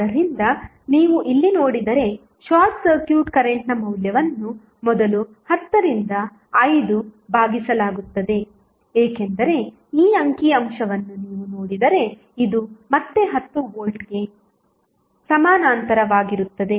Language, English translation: Kannada, So, if you see here the value of short circuit current is given by first 10 divided by 5 because if you see this figure this is again in parallel with 10 volt